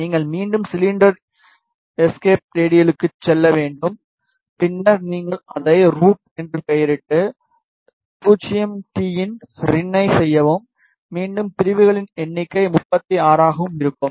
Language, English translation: Tamil, You need to just again go to cylinder escape radial ok then you name it as rout then rin 0 t and again the number of segments keep it is n that is 36